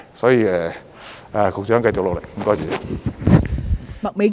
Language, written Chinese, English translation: Cantonese, 所以，局長，繼續努力。, Therefore Secretary keep up the hard work